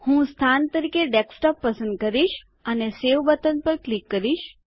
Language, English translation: Gujarati, I will choose the location as Desktop and click on the Save button